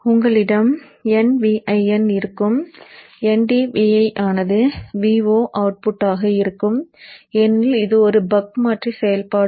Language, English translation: Tamil, So you will have NV in, N V in into D will will be the output v0 because this is a buck converter operation